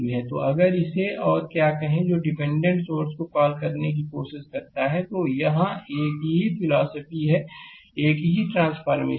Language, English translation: Hindi, So, if try to convert it to the your what you call dependent current source, same transformation same philosophy here right